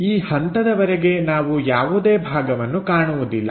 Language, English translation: Kannada, Here, we do not see any portion